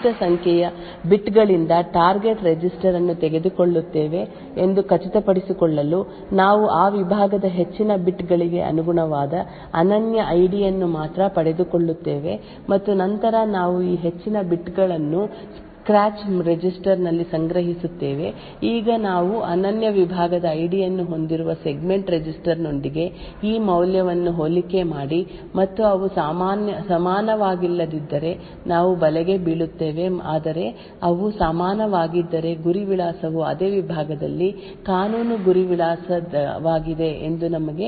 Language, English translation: Kannada, The way we do this is we take the target register shifted by a certain number of bits to ensure that we actually obtain only the unique ID corresponding to the higher bits of that segment and then we store this higher bits in a scratch register, now we compare this value with the segment register which contains the unique segment ID and if they are not equal we trap however if they are equal then we are guaranteed that the target address is indeed a legal target address within the same segment and then we would permit the jump or the store instruction to be performed